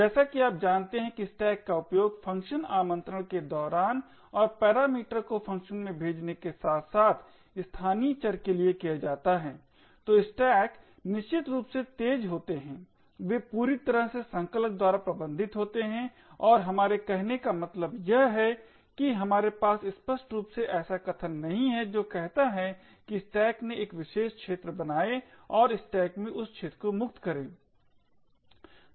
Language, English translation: Hindi, As you know stacks are used during function invocations and to pass parameters to functions as well as for local variables, so stacks essentially are fast they are fully managed by the compiler and what we mean by this is that we do not have to explicitly have statements which says create a particular area in the stack and free that area in the stack